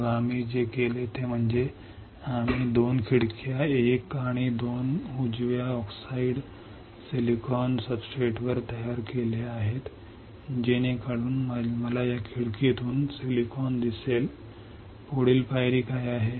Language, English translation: Marathi, Then what we have done is that, we have created 2 windows one and two right on the oxidise silicon substrate such that I can see silicon through this window what is the next step